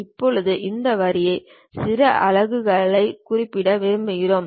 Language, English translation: Tamil, Now, this line we would like to specify certain units